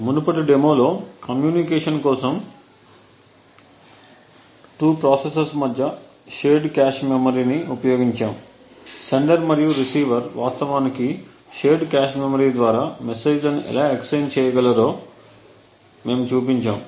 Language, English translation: Telugu, In the previous demonstration what we have seen was we had used the shared cache memory between 2 processes for communication we had shown how a sender and a receiver could actually exchange messages through the shared cache memory